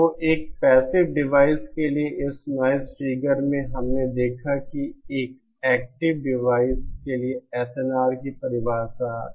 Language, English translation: Hindi, So, one of the properties of this noise figure for a passive device we saw that what is the definition of SNR for an active device